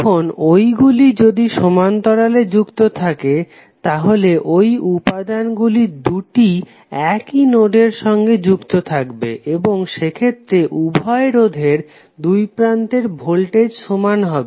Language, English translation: Bengali, Now if those are connected in parallel then this elements would be connected through the same two nodes and in that case the voltage across both of the resistors will be same